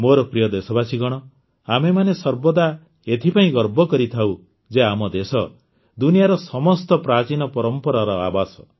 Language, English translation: Odia, My dear countrymen, we all always take pride in the fact that our country is home to the oldest traditions in the world